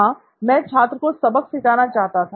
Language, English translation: Hindi, Yes, I wanted to give the student a hard time